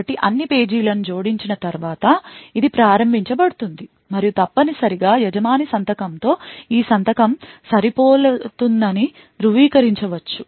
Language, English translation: Telugu, So, it is invoked after all the pages have been added and essentially it could verify that the signature matches that of the owner signature